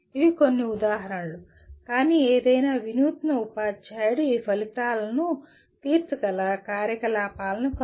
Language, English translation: Telugu, These are some examples, but any innovative teacher can find activities that would meet these outcomes